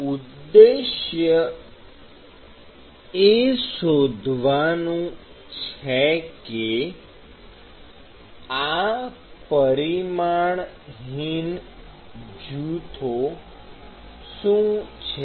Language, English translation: Gujarati, So, the objective is to find out what are these dimensions less groups